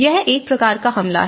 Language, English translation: Hindi, So, this is one kind of attack